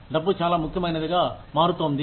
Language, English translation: Telugu, Money is becoming increasingly important